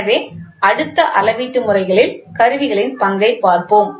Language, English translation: Tamil, So, next let us see the role of instruments in measuring systems